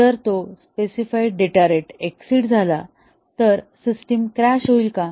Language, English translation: Marathi, If it slightly exceeds the specified data rate, does the system crash